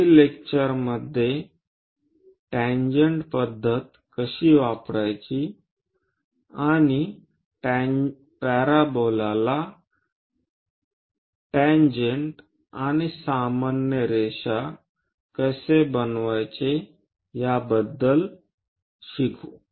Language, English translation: Marathi, In the next lecture, we will learn more about how to use tangent method and how to construct tangent and normal to a parabola